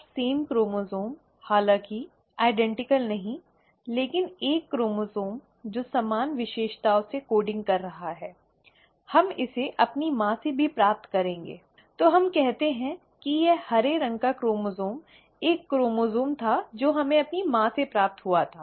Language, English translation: Hindi, Now the same chromosome, not identical though, but a chromosome which is coding from similar features we'll also receive it from our mother, right, so let us say that this green coloured chromosome was a chromosome that we had received from our mother